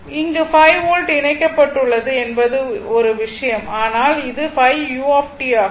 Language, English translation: Tamil, So, one thing is there that this is ok this 5 volt is connected, but this is 5 u t right